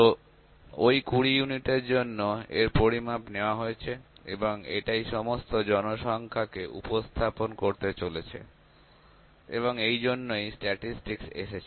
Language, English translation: Bengali, So, those 20 units the measurements are taken and that is going to represent the whole population and that is why statistics comes into place